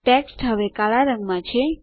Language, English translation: Gujarati, The text is now black in color